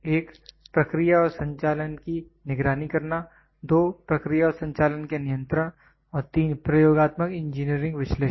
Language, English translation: Hindi, 1 is monitoring of the process and operation, 2 control of the process and operation and 3 experimentally engineering analysis